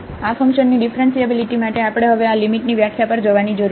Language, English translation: Gujarati, So, for the differentiability of this function we need to now go to this limit definition